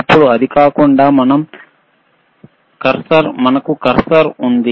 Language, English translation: Telugu, Now other than that, we have cursor, right